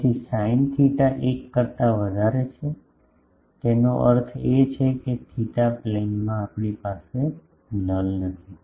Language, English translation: Gujarati, So, sin theta is greater than 1; that means, in the theta plane we do not have a null